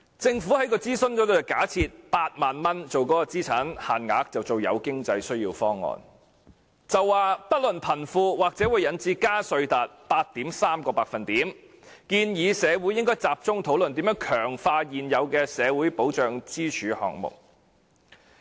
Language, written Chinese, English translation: Cantonese, 政府在諮詢中假設8萬元為資產限額，定為"有經濟需要"方案，說"不論貧富"方案或會引致加稅 8.3%， 建議社會應該集中討論如何強化現有的社會保障支柱項目。, In the consultation exercise the Government supposed the asset limit was 80,000 and defined it as the those with financial needs option . It said that the regardless of rich or poor option might lead to an increase of 8.3 % in the tax rate . It suggested that society should focus the discussion on how to strengthen the existing pillars of social security